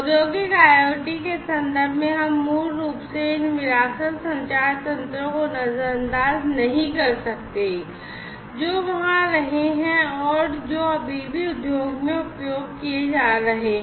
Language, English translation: Hindi, So, in the context in the newer context of Industrial IoT, we cannot basically throw away these legacy communication mechanisms that have been there and that are those are still being used in the industry